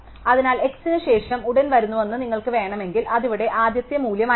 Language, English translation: Malayalam, So, if you want to one that comes immediately after x, it will be the first value here